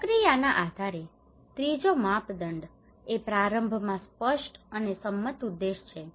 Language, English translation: Gujarati, The third criteria process based is the clear and agreed objective at the outset